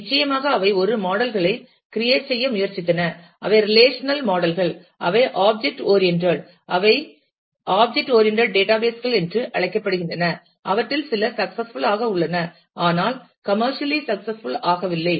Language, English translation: Tamil, Of course, they have been attempts to create a models, which are relational models which are also object oriented those are called object relational databases, some of them have been successful, but not really commercially successful